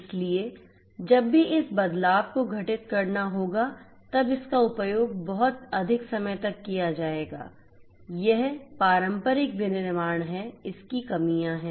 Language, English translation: Hindi, So, whenever this changeover will have to happen it is to take much longer and so on, that is the traditional manufacturing the drawbacks of it